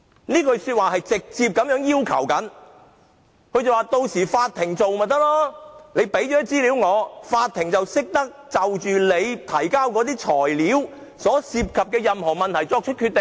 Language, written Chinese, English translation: Cantonese, 這句話直接要求由法庭處理，只要我們提交資料，法庭便懂得就我們提交的材料所涉及的任何問題作出決定。, This statement is a direct request for the Court to handle the matter . Once we have submitted the information the court will know what decision to make on all the issues in respect of the materials we have produced